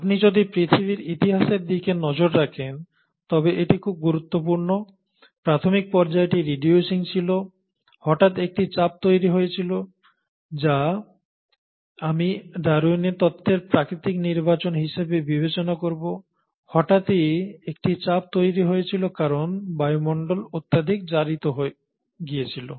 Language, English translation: Bengali, So if you were to look at the history of earth, this becomes very important; the initial phase is reducing, suddenly there is a pressure created which is again what I will call as natural selection in terms of Darwin’s theory, you suddenly have a pressure created because the atmosphere becomes highly oxidised